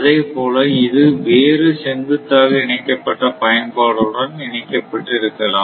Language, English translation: Tamil, So, similarly it may be connected to other vertically integrated utility system, this may be connected